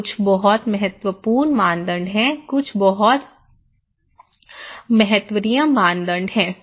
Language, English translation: Hindi, And some are very important norms, some are very unimportant norms